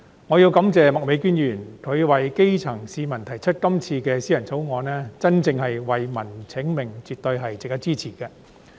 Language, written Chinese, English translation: Cantonese, 我要感謝麥美娟議員，為基層市民提出這項議員法案，真正為民請命，絕對值得支持。, I have to thank Ms Alice MAK for moving this Members Bill for the benefit of the grass roots . Her pleading for justice on behalf of the people is absolutely worth our support